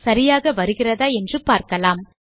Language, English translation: Tamil, Lets see if I can get it right